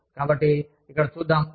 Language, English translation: Telugu, So, let us see, here